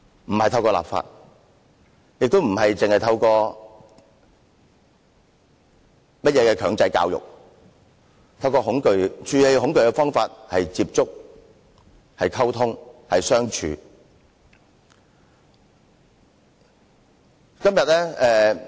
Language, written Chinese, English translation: Cantonese, 並非透過立法，亦非透過強制教育，處理恐懼的方法是接觸、溝通和相處。, Not through legislation not through compulsory education but through contact communication and getting along with each other